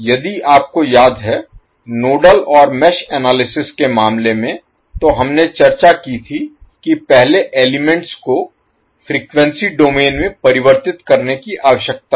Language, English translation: Hindi, If you remember in case of the nodal n mesh analysis we discussed that first the elements need to be converted in frequency domain